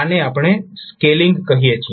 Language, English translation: Gujarati, So this is what we call as scaling